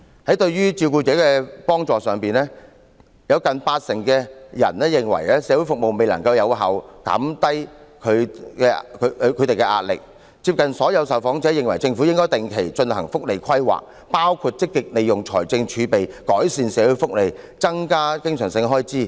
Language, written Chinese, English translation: Cantonese, 在對照顧者的幫助上，有近八成受訪者認為社會服務未能有效減低其壓力；而幾乎所有受訪者均認為，政府應該定期進行福利規劃，包括積極利用財政儲備改善社會福利和增加經常性開支。, Nearly 80 % of the respondents believe that the social services have not effectively reduced their pressure . Almost all respondents believe that the government should regularly carry out welfare planning including using fiscal reserves proactively to improve social welfare and increase recurrent expenditure